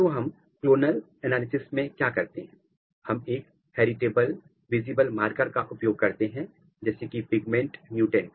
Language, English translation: Hindi, So, in clonal analysis what we do we use a heritable visible marker such as pigment mutants